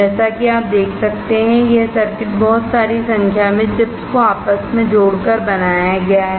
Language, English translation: Hindi, As you can see, this circuit is fabricated by interconnecting number of chips